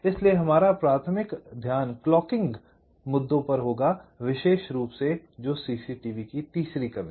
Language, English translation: Hindi, so our primary focus will be on the clocking issues, specifically the third one, reduction of cct